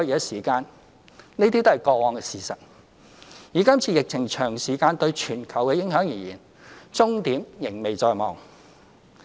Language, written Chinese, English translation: Cantonese, 這些都是過往的事實，以今次疫情長時間對全球的影響而言，終點仍未在望。, All these are historical facts . Judging from the long - lasting global impact of this epidemic the end is not yet in sight